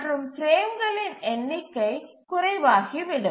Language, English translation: Tamil, because the number of frames available will be still less